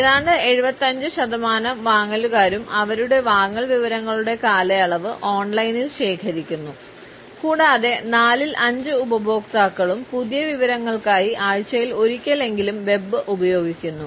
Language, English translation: Malayalam, Nearly 75 percent of the buyers gather the maturity of their purchasing information online and four fifths of the customers use the web at least once a week to search for new information